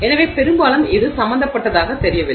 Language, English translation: Tamil, So, largely it doesn't seem to be involved